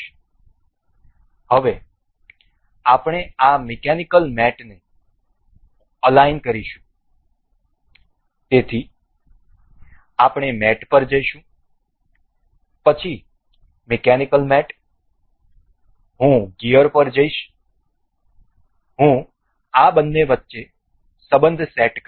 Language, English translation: Gujarati, So, now, we will align this mechanical mates so, we will go to mate then the mechanical mates I will go to gear first I will set up a relation between these two